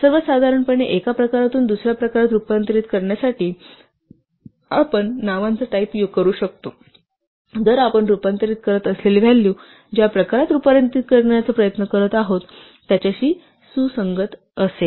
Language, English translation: Marathi, In general, we can use type names to convert from one type to another type, provided the value we are converting is compatible with the type we are trying to convert to